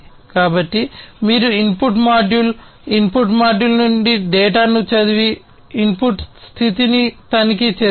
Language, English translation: Telugu, Then you have reading the data from the input module, the input module and checking the input status